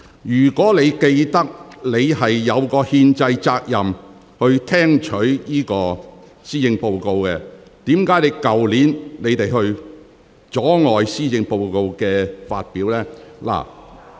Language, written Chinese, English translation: Cantonese, 如果你還記得，你有憲制責任聽取施政報告的話，為何你們去年卻阻礙施政報告的發表呢？, If you still remember that you have a constitutional obligation to heed the Policy Address why did you Members obstruct the delivery of the Policy Address last year?